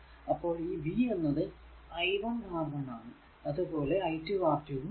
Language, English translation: Malayalam, So, that means, your v 1 is equal to i into R 1 and v 2 is equal to i into R 2